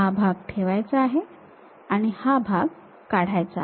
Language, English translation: Marathi, This part retain it and this part remove it